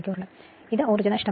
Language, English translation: Malayalam, So, total energy loss